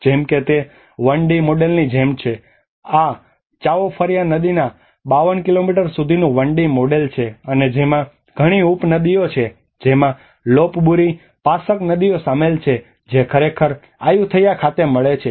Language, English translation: Gujarati, Like it is about a 1D model this is a 1D model of 52 kilometer stretch of Chao Phraya river and which has a number of tributaries that include Lopburi, Pasak rivers which actually meet at Ayutthaya